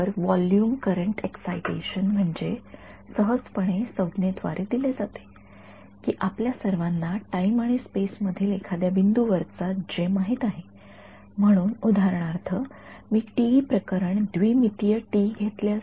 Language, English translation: Marathi, So, a volume current excitation is simply given by term that we all know J at some point in space and time ok; so, for example, if I take the TE case right 2D TE case